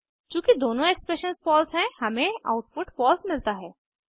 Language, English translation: Hindi, Since both the expressions are false, we get output as false